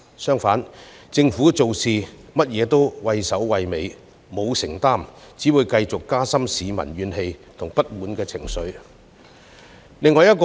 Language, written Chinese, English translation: Cantonese, 假如政府做甚麼事也畏首畏尾，欠缺承擔，則只會令市民的怨氣和不滿情緒繼續加深。, If the Government is afraid of doing anything and lacks commitment it will only serve to deepen public grievances and discontent